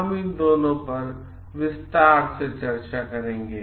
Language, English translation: Hindi, We will discuss both of them in details